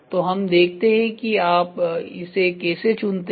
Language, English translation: Hindi, So, let us see How do you choose this